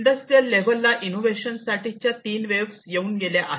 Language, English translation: Marathi, So, there are three waves of innovation that have gone through in the industrial level